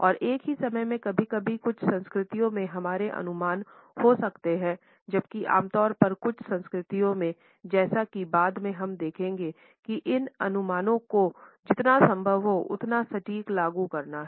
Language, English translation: Hindi, And at the same time sometimes in certain cultures our estimates can be normally imprecise whereas, in some cultures as we will later see these estimates have to be as close to precision as possible